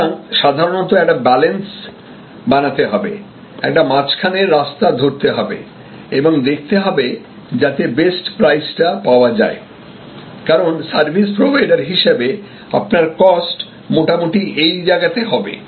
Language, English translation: Bengali, So, usually therefore, one has to create a balance and strike a middle ground and see the best that can be obtained the best level of price, because your cost as a service provider will be somewhere here